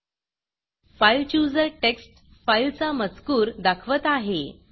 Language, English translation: Marathi, The fileChooser displays the contents of the text file